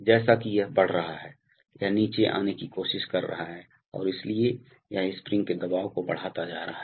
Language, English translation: Hindi, As it is keeping increasing this is trying to come down and therefore, this is going to go up increasing the spring pressure